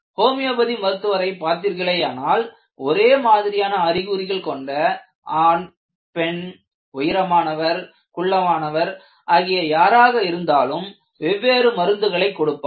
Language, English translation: Tamil, See, if you look at a homeopathic doctor, for the same or similar symptoms, they will give different medicines for men, women, tall person, short person